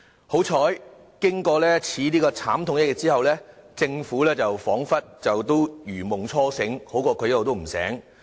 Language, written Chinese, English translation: Cantonese, 幸好，經此慘痛一役後，政府彷彿如夢初醒，這總好過一直也不醒。, Fortunately having gone through this painful experience the Government has awakened from a dream . It is fortunate in a sense that the Government is not still in a dream